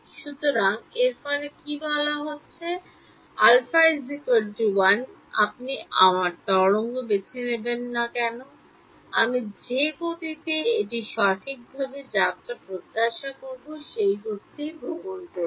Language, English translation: Bengali, So, what is its saying therefore, alpha equal to 1 whatever discretization you choose my wave is travelling at the speed that I expect it to travel right